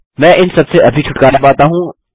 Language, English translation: Hindi, Lets just get rid of this